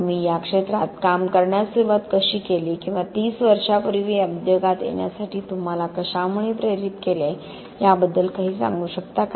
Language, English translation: Marathi, Could you please, you know, tell something about how you started working in this area, or what motivated you to get into this industry like 30 years ago